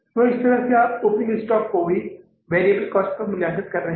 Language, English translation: Hindi, So, similarly you are valuing the opening stock also on the variable cost